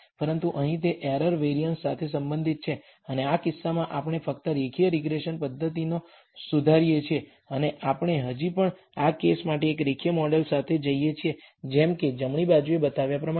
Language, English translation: Gujarati, But here it is related to the error variances, and in this case, we only modify the linear regression method, and we still go with a linear model for this for these case such as the one shown on the right